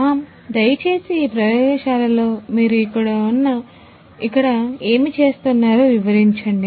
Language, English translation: Telugu, So, ma’am could be please explain what you do over here in this lab